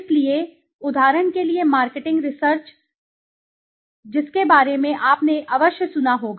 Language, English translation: Hindi, So marketing research for example, you know let me cite an example which you may must of heard of